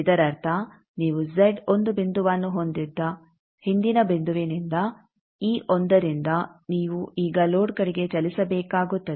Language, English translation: Kannada, That means, from the earlier point which you have located the z one point this one you will have to now move towards load